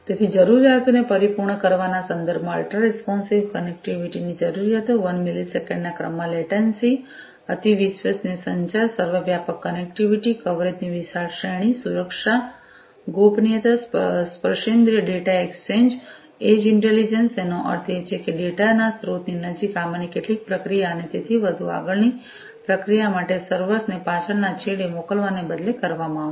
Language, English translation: Gujarati, So, in terms of fulfilling requirements, requirements of ultra responsive connectivity, latency in the order of 1 millisecond, ultra reliable communication, ubiquitous connectivity, wide range of coverage, security privacy, tactile data exchange, edge intelligence; that means, close to the source of the data some of these processing is going to be done instead of sending everything to the back end to the servers and so on, for further processing